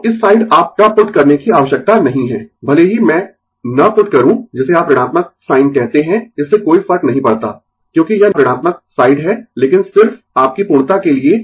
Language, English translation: Hindi, So, this side no need to put your even if I do not put what you call the negative sign is does not matter, because this is negative side, but just to for the sake of your completeness